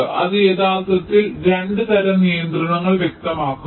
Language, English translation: Malayalam, they actually specify two kinds of constraints